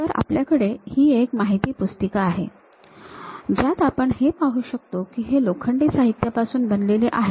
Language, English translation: Marathi, So, we will be having a data book where we can really see if it is a iron material